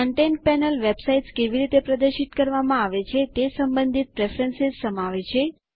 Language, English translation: Gujarati, The Content panel contains preferences related to how websites are displayed